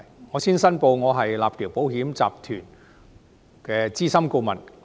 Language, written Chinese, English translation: Cantonese, 我先申報，我是立橋保險集團的資深顧問。, I would like to first declare that I am a senior consultant of Well Link Insurance Group